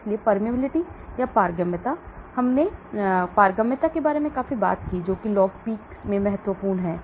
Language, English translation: Hindi, So permeability, we talked quite a lot about permeability what is important in log P